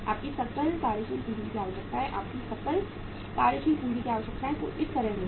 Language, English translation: Hindi, Your gross working capital requirements, your gross working capital requirements will be something like this